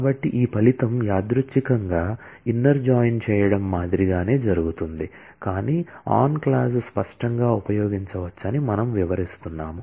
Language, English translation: Telugu, So, this result incidentally happens to be same as just doing the inner join, but we are illustrating that, on clause can explicitly use